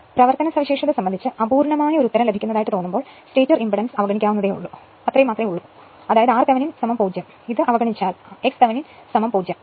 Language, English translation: Malayalam, Now, sometimes for getting a feel that is a rough answer rough answer at the of the operational characteristic it is convenient to assume that the stator impedance to be negligible that is r Thevenin is equal to 0, x Thevenin is equal to 0 if you neglect that